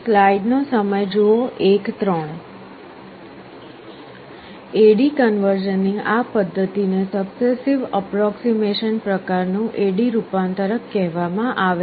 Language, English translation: Gujarati, This method of A/D conversion is called successive approximation type A/D converter